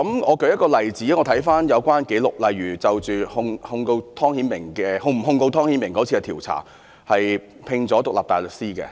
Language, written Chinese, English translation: Cantonese, 我舉一例子——看回有關紀錄——例如就着是否控告湯顯明的調查聘請了獨立大律師。, I wish to quote an example . If we take a look at the record DoJ hired an independent counsel to study if the Department needed to institute prosecution against Timothy TONG in its investigation